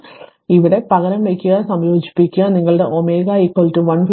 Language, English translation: Malayalam, So, you substitute here and integrate you will get your omega is equal to 156